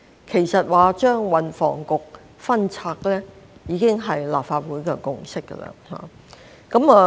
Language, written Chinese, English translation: Cantonese, 其實，將運輸及房屋局分拆，已經是立法會的共識。, In fact splitting the policy portfolios of the Transport and Housing Bureau is already the consensus of the Legislative Council